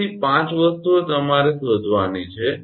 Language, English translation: Gujarati, So, 5 things you have to find out